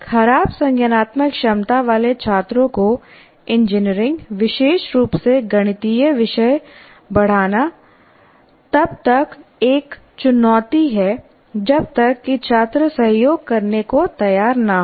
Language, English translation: Hindi, Now teaching, engineering, especially mathematical subjects to students with poor cognitive abilities is a challenge unless the students are willing to cooperate with you